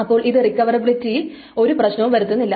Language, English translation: Malayalam, So that's the reason of recoverability